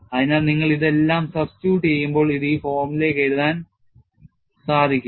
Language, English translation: Malayalam, So, when you substitute all this, this simplifies to this form